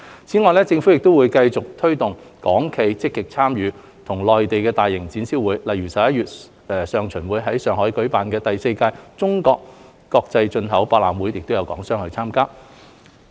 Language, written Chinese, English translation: Cantonese, 此外，政府會繼續推動港企積極參與內地的大型展銷活動，例如11月上旬於上海舉辦的第四屆中國國際進口博覽會亦會有港商參加。, In addition the Government will continue to encourage Hong Kong enterprises to actively participate in large - scale promotional activities in the Mainland . For example some Hong Kong enterprises will participate in the fourth China International Import Expo to be held in Shanghai in early November